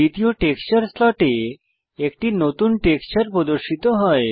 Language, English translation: Bengali, A new texture has appeared in the second texture slot